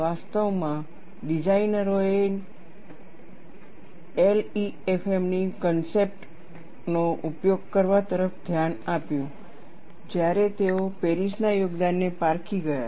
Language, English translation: Gujarati, In fact, the designers looked at utilizing concepts of LEFM, only when they came across the contribution by Paris